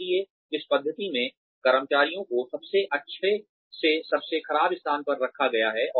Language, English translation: Hindi, So, in this method, the employees are ranked, from the best to worst